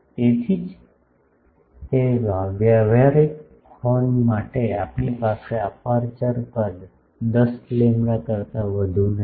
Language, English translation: Gujarati, So, that is why generally for practical horns we do not have the aperture sizes more than 10 lambda